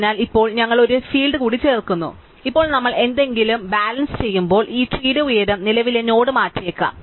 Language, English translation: Malayalam, So, now we just add one more field called height, so now whenever we do any rebalancing, then the height of this tree may change the current node